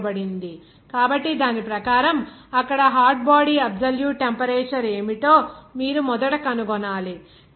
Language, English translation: Telugu, 81, So according to that, you have to first find out what should be the hot body absolute temperature there